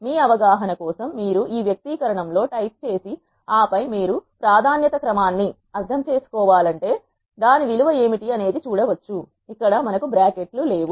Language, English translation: Telugu, For your understanding you can type in this expression and then see what is the value of a would be if you want to understand the order of precedence first we do not have any brackets in here